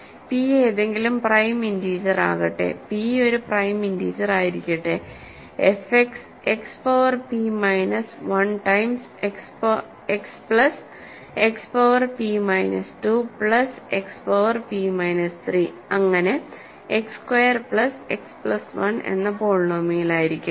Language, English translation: Malayalam, So, let p be any prime integer, let p be a prime integer, let f X be the polynomial given by X power p minus 1 times X plus X power p minus 2 plus X power p minus 3 and so on X square plus X plus 1